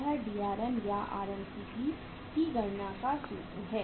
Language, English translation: Hindi, This is the formula for calculating the Drm or RMCP